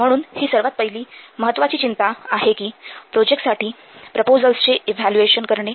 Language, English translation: Marathi, So, this is the first important concern that we have to evaluate the proposals for the projects